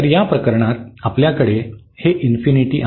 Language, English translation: Marathi, So, in this case here we have like this infinity